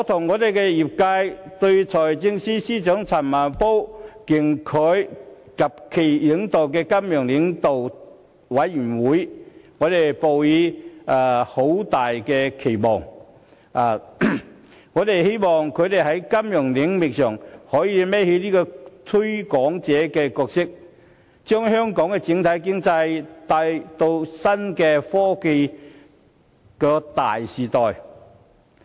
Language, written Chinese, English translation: Cantonese, 我與業界對財政司司長陳茂波及其領導的金融領導委員會抱有很大期望，希望他們能在金融領域擔當"推廣者"的角色，將香港經濟帶進創新科技的大時代。, Members of the sector and I myself have high expectations for the Financial Leaders Forum led by Financial Secretary Paul CHAN hoping that it can act as a promoter to lead Hong Kong into the era of innovation and technology